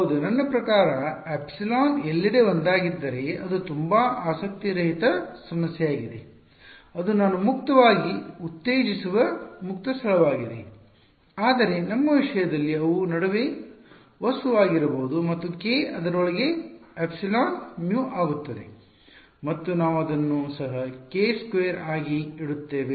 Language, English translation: Kannada, Yeah I mean if epsilon is one everywhere it's a very uninteresting problem it is free space that I am stimulating right , but in our in our case they might be an object in between and that k will epsilon mu inside it we just keeping it a k squared fellow